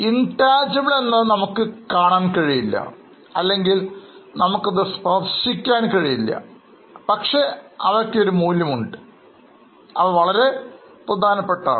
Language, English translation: Malayalam, Intangible, we can't see or we can't at such touch it, but they have a value